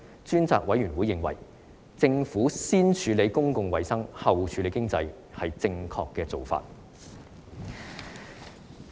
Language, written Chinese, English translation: Cantonese, 專責委員會認為，政府先處理公共衞生，後處理經濟，是正確的做法。, The Select Committee considers that the Government was right in putting public health before the economy